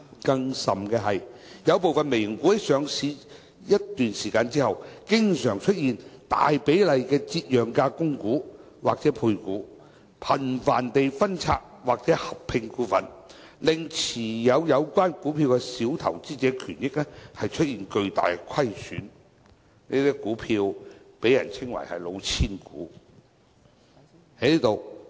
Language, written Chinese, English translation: Cantonese, 更甚的是，有部分"微型股"在上市一段時間之後，經常出現大比例的折讓價供股或配股，頻繁地分拆或合併股份，令持有有關股票的小投資者權益出現巨大虧損，這些股票被稱為"老千股"。, Worse still after some micro caps have been listed on the market for a period of time the companies concerned would often conduct rights issues or placements at a deeply discounted price and there would be very frequent stock splits and share consolidations such that minor investors holding these shares sustain great losses in their rights and interests . These shares are called cheating shares